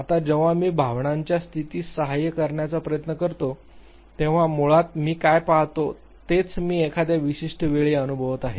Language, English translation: Marathi, Now when I try to assist the state of emotion basically what I look at is what I am experiencing at a given point in time